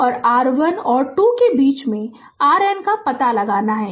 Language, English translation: Hindi, And and you have to find out R N in between your 1 and 2